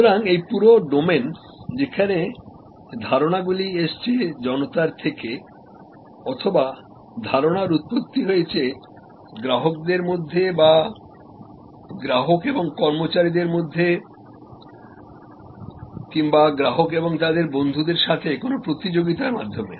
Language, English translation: Bengali, So, this whole domain which is called crowd sourcing or often idea of source through competitions among customers or even customers and their employees or customers and their friends and so on